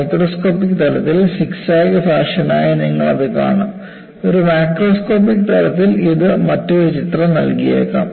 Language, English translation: Malayalam, You will see that, as zigzag fashion at a microscopic level; at a macroscopic level it may give a different picture